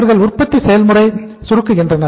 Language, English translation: Tamil, They they shrink the production process